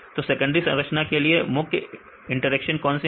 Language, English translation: Hindi, So, what are the major interactions which are for the secondary structures